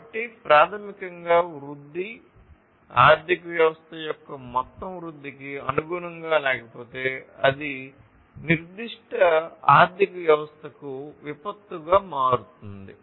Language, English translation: Telugu, So, basically, if the growth is not conformant with the overall growth of the economy then that will become a disaster for that particular economy